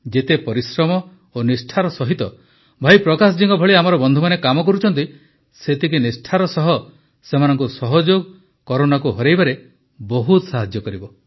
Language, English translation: Odia, The kind of hard work and commitment that our friends like Bhai Prakash ji are putting in their work, that very quantum of cooperation from them will greatly help in defeating Corona